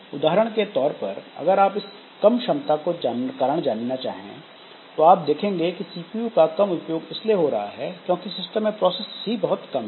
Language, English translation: Hindi, And if you are, for example, trying to see the reason for this throughput being low, then if you see that the CPU usage is low, that means that user the number of processes in the system is also less